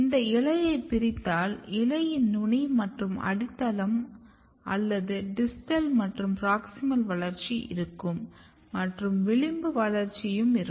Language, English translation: Tamil, So, if you look if you divide this leaf so there is a apical and basal or distal and proximal growth of the leaf then you have this marginal growth